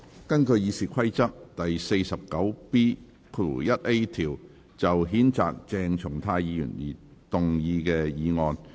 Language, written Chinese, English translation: Cantonese, 根據《議事規則》第 49B 條，就譴責鄭松泰議員而動議的議案。, Motion under Rule 49B1A of the Rules of Procedure to censure Dr CHENG Chung - tai